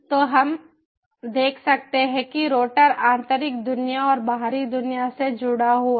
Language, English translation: Hindi, so, so we can see that the router is connected to the inner world and the outer world